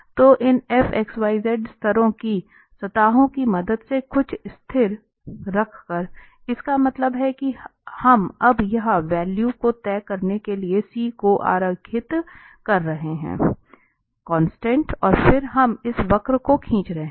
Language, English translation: Hindi, So, with the help of these levels surfaces f x, y by putting some constant that means that we are drawing now for fixing the value here the C, the constant and then we are drawing this curve